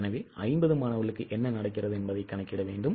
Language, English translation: Tamil, I think we will need to calculate what happens for 50 students